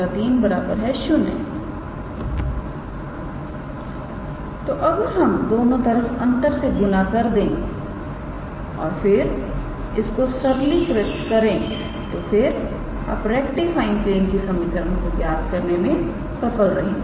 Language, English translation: Hindi, So, if we multiply both sides by minus and then we do some simplification you can be able to obtain the equation of the rectifying plane